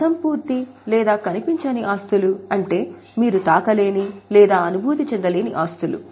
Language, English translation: Telugu, Intangible assets are those assets which you can't touch or feel